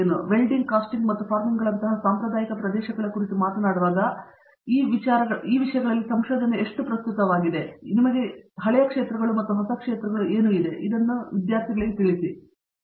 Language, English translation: Kannada, So, when you talk of traditional areas like Welding, Casting and Forming, how relevant is research in these seemingly you know old areas relevant today